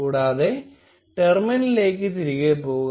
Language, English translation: Malayalam, And go back to the terminal